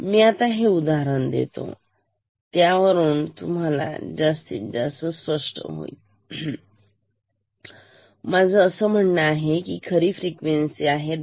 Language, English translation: Marathi, But ok; so let me change this example a bit to make it more clear let me say that this is the true frequency 10